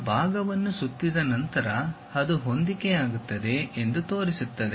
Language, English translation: Kannada, After revolving that part, showing that it coincides that